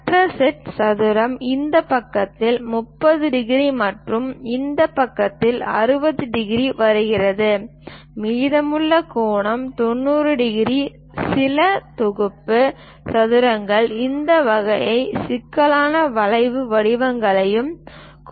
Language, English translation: Tamil, The other set square comes with 30 degrees on this side and 60 degrees on this side; the remaining angle is 90 degrees; some of the set squares consists of this kind of complicated curve patterns also